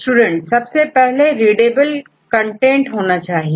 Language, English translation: Hindi, First we have to readable content